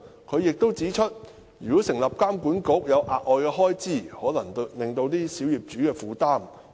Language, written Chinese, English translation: Cantonese, 他亦指出，如果成立監管局涉及額外開支，可能會加重小業主的負擔。, He also pointed out that the setting up of BMWA would incur additional expenditures and might add to the already heavy burden of small property owners